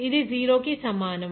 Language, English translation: Telugu, So, it will be 0